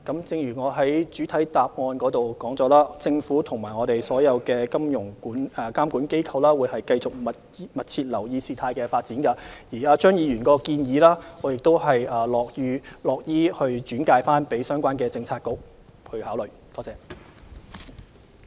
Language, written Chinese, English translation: Cantonese, 正如我在主體答覆指出，政府與所有金融監管機構會繼續密切留意事態發展，我亦樂意把張議員的建議轉交相關政策局考慮。, As I said in the main reply the Government and all the financial regulators will continue to closely monitor the developments and I am willing to forward Mr CHEUNGs suggestion to the relevant Policy Bureau for consideration